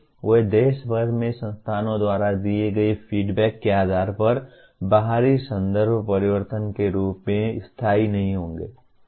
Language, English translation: Hindi, They will not be permanent as the outside context changes based on the feedback given by institute across the country